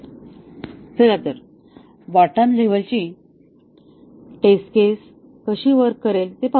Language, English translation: Marathi, Let us see how the bottom up testing will work